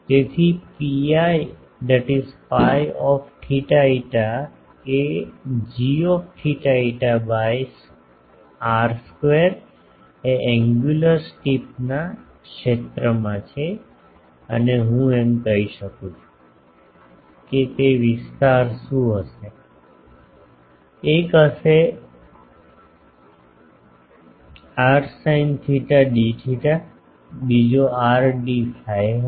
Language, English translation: Gujarati, So, P i theta phi is g theta phi by r square into the area in that angular steep and can I say that what will be that area: one will be r sin theta d theta, another will be r d phi ok